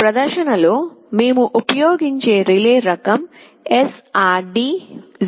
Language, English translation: Telugu, The type of relay that we shall be using in our demonstration is SRD 05DC SL C